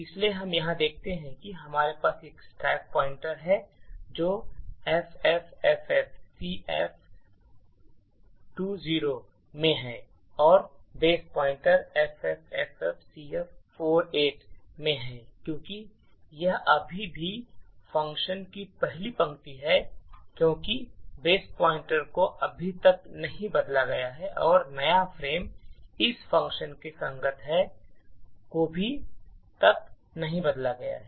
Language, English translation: Hindi, So, what we see here is that we have a stack pointer which is at FFFFCF20, ok, and the base pointer is at FFFFCF48 now since this is still at the first line of function the base pointer has not been changed as yet and the new frame corresponding to this function has not been created as yet